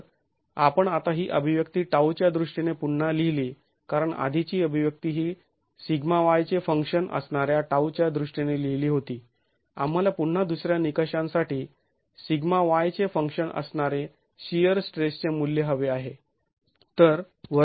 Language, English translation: Marathi, If we now rewrite this expression in terms of tau because the earlier expression was written in terms of tau as a function of sigma y, we again want for the second criterion the value of shear stress as a function of sigma y